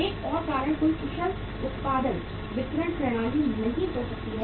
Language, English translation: Hindi, Another reason could be no efficient production distributive system